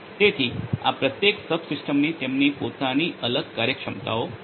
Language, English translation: Gujarati, So, each of these subsystems they have their own different functionalities